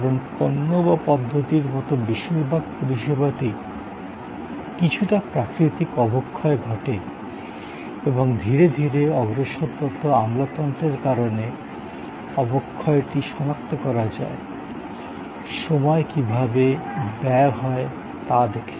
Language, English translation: Bengali, Because, most services like products or like systems have some natural degeneration and that degeneration due to creeping bureaucracy can be identified by looking at, how time is spent